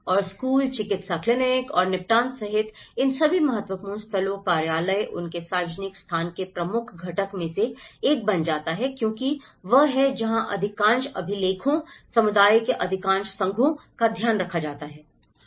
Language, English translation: Hindi, And all these important landmarks including the school, medical clinic and the settlement office becomes one of the major component of their public place as well because that is where most of the records, most of the association with the community is taken care of